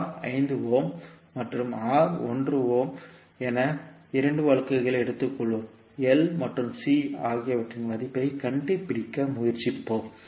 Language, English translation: Tamil, So we will take 2 cases where R is 5 ohm and R is 1 ohm and we will try to find out the value of L and C